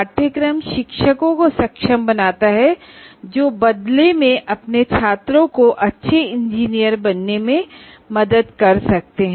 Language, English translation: Hindi, The course enables the teachers who in turn can facilitate their students to become a good engineer's